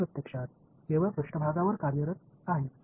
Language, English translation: Marathi, This is actually now operating only on the surface